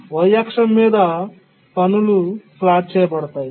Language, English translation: Telugu, On the y axis we have plotted the tasks